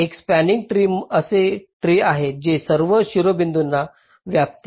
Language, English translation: Marathi, a spanning tree is a tree that covers all the vertices